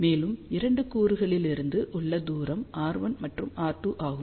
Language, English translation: Tamil, And, distance from the 2 elements is r 1 and r 2